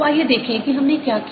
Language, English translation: Hindi, so let's see what we did